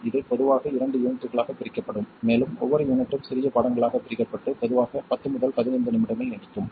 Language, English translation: Tamil, It will be split up into 2 units usually and each unit will be split up into smaller lessons usually lasting 10 to 15 minutes